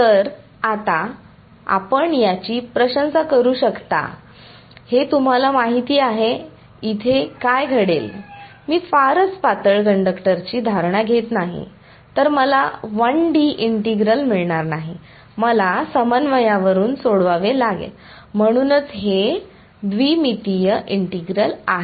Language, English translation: Marathi, So now, you can appreciate what would happen if this you know, I did not make the assumption of very thin conductor, then I would not get a 1D integral, I would have to solve it over the phi coordinate also, so it is a two dimension integral